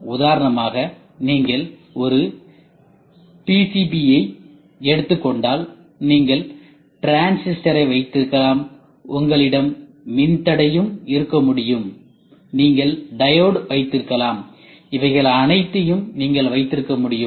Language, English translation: Tamil, For example, if you take a PCB you can have transistor, you can have resistor, you can have diode, all these things, you can have that is what they say